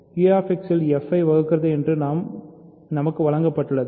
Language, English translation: Tamil, We are given that f divides g in Q X